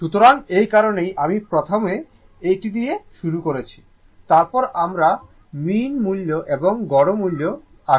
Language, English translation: Bengali, So, that is why I have started with this one first, then we will come to the mean value and average value